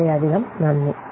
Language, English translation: Malayalam, So thank you very much